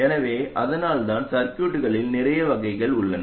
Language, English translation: Tamil, So this is why there is a huge variety in circuits